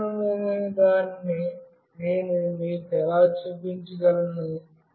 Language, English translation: Telugu, How do I show you the secure one